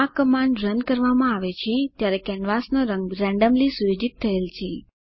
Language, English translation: Gujarati, The canvas color is randomly set when this command is executed